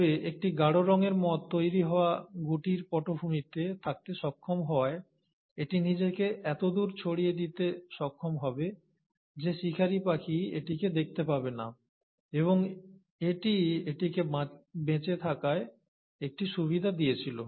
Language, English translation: Bengali, But a dark coloured moth will, being able to in the background of the soot being generated, thanks to the industrial revolution, would be able to camouflage itself to such an extent, that it will not be noticed by the predatory bird, and it would have given it a survival advantage